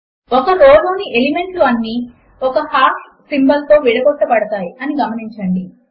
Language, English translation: Telugu, Notice that the elements in a row are separated by one hash symbol